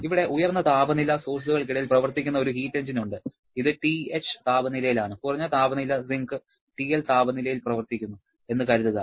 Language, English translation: Malayalam, Here, we have a heat engine which is operating between one high temperature source, let us assume this is at a temperature TH and low temperature sink which is operating at a temperature of TL